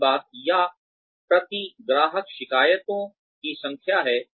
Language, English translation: Hindi, The other thing is, or the number of complaints, per customer